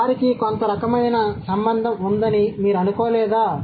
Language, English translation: Telugu, So don't you think they have some kind of connection